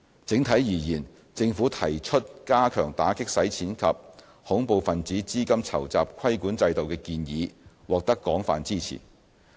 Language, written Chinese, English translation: Cantonese, 整體而言，政府提出加強打擊洗錢及恐怖分子資金籌集規管制度的建議獲得廣泛支持。, Overall speaking there was broad support for the Government to enhance anti - money laundering and counter - terrorist financing regulation in Hong Kong